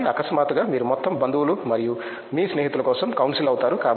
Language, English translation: Telugu, So, suddenly you become the council for the whole relatives and your friends